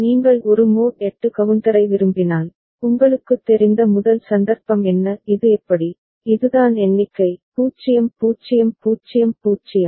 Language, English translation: Tamil, If you want a mod 8 counter so, what is the first occasion when you know this is how, this is the count so, 0 0 0 0